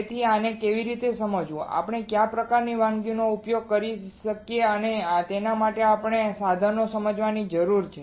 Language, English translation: Gujarati, So, how to understand this, what kind of recipes we can use and for that we need to understand the equipment